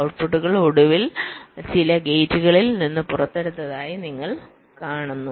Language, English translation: Malayalam, so which means, you see, the outputs are finally taken out from some gates